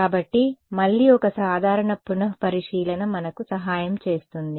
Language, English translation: Telugu, So, again a simple relooking is what will help us